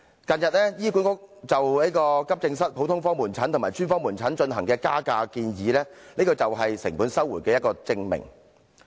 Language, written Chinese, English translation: Cantonese, 近日，醫管局就急症室、普通科門診及專科門診進行的加價建議，這就是成本收回的一個證明。, Recently HAs proposal for increasing the charges of AE departments general outpatient clinics and special outpatient clinics is proof of such cost recovery